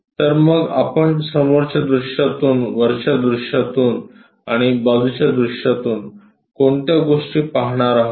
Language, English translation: Marathi, So, what are the things we will observe from front view, from top view and side view